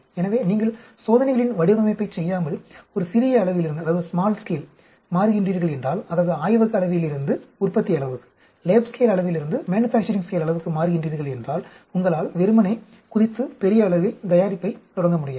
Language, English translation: Tamil, So, if you are moving from a small scale, that is, lab scale going right up to a manufacturing scale without performing a design of experiments, you cannot just jump and start making in a large scale